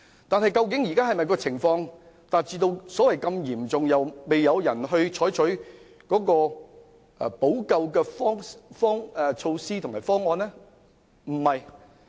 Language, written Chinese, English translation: Cantonese, 但現在的情況究竟是否已達至嚴重程度而沒有人採取補救措施和方案？, Is the current situation very serious and has no remedial measures been taken?